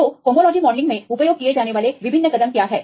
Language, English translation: Hindi, So, what are the various steps used in the homology modelling